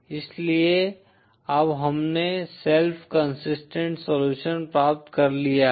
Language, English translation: Hindi, So now we have obtained self consistent solution